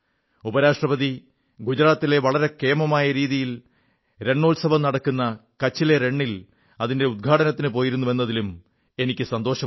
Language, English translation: Malayalam, And it's a matter of joy that our Vice President too visited the Desert Festival held in Rann of Kutch, Gujarat for the inauguration